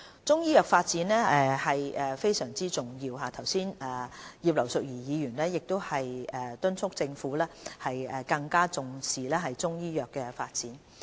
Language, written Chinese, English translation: Cantonese, 中醫藥發展是非常重要的，剛才葉劉淑儀議員亦敦促政府更重視中醫藥的發展。, The development of Chinese medicine is crucially important . Just now Mrs Regina IP has also urged the Government to attach greater importance to the development of Chinese medicine